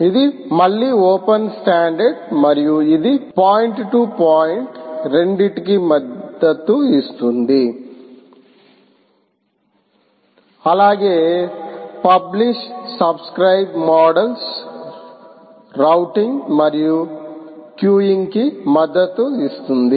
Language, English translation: Telugu, this is a open standard again, and it supports both point to point as well as publish, subscribe models, routing and queuing